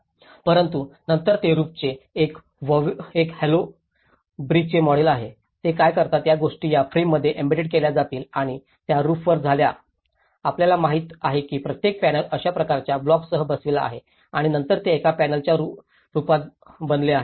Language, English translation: Marathi, But then this is a hollow brick model of roofs, what they do is these things will embedded into this frame and that becomes into the roof, you know so each panel is fitted with these kind of blocks and then it composed as one panel